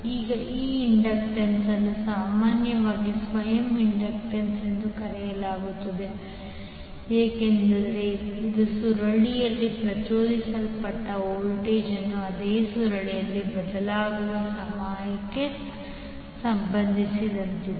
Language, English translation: Kannada, Now this inductance is commonly called as self inductance because it relate the voltage induced in a coil by time varying current in the same coil